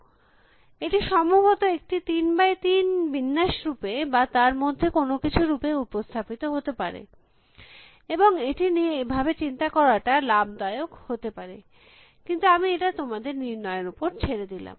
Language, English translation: Bengali, So, these of course can possibly be represented as the 3 by 3 array or something in that, and it might be useful to think about it like that, but I will leave it for you to decide